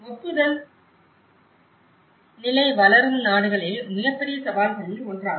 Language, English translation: Tamil, The approval stage is one of the biggest challenges in developing countries